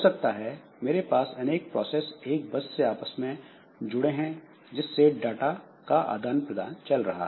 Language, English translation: Hindi, So, maybe I have got multiple processors so they are connected to a bus